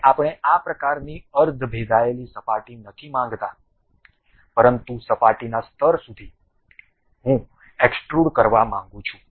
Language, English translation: Gujarati, And we do not want this kind of semi penetrating kind of surfaces; but up to the surface level I would like to have extrude